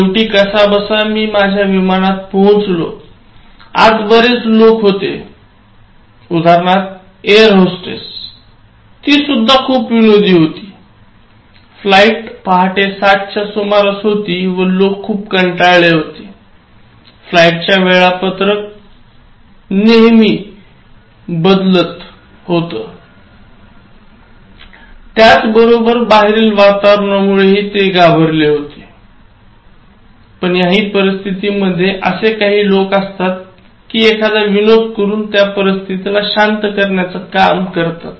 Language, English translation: Marathi, Now, I got into the flight, again the people inside, the airhostess for example, one of them so she was also very humourous, see around the flight was early in the morning around 7 O’clock and people were drowsy and as I said very serious and very concerned about the flight schedule and you find people lightening that kind of seriousness by cracking appropriate timely jokes